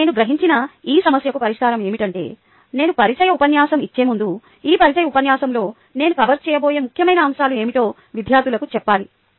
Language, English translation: Telugu, ok, now, the solution to this problem, i realized, was that before i give a introduction lecture, i must tell the students what are the important points that i am going to cover in this introductory lecture